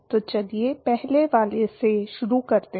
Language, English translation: Hindi, so let us start from the first one